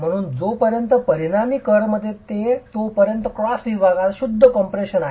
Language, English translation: Marathi, So, as long as the resultant is within the kern, it is pure compression in the cross section